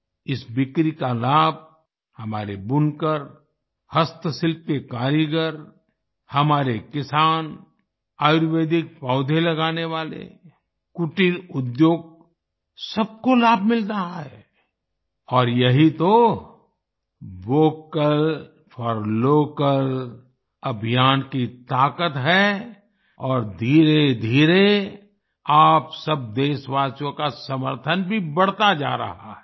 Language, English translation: Hindi, Benefiting from these sales are our weavers, handicraft artisans, our farmers, cottage industries engaged in growing Ayurvedic plants, everyone is getting the benefit of this sale… and, this is the strength of the 'Vocal for Local' campaign… gradually the support of all you countrymen is increasing